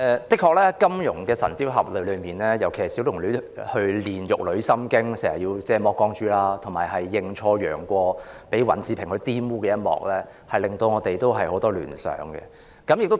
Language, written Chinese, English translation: Cantonese, 的確，在金庸《神鵰俠侶》一書中，小龍女練玉女心經時要全身赤裸，以及認錯楊過而被尹志平玷污一幕，均令我們有很多聯想。, Indeed in the novel The Legend of the Condor Hero scenes of Xiaolongnü being naked when practising a special type of martial arts and being sexually assaulted by YIN Zhiping whom she mistaken as YANG Guo give us plenty of room for association